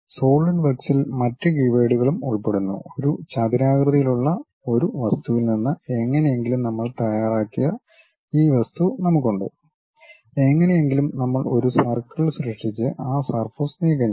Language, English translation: Malayalam, And there are other keywords also involved at Solidworks level, something like we have this object somehow we have prepared from rectangular thing, and somehow we have created a circle and remove that surface